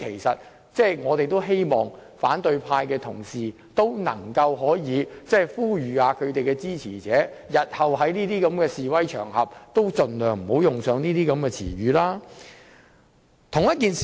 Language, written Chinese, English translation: Cantonese, 因此，我們十分希望反對派的同事可以呼籲其支持者，日後在示威場合中也應該盡量不要使用這種言詞。, Therefore we very much hope that our opposition colleagues will call on their supporters to avoid using such words in future protests . I would like to make one more point